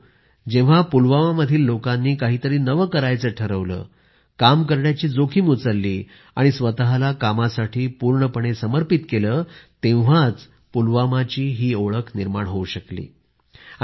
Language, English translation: Marathi, Pulwama gained this recognition when individuals of this place decided to do something new, took risks and dedicated themselves towards it